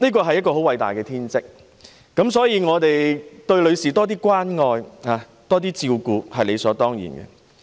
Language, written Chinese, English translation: Cantonese, 生育是偉大的天職，因此多關愛和照顧女士是理所當然的。, Giving birth is an admirable natural duty so it is only reasonable to show more care and concern for women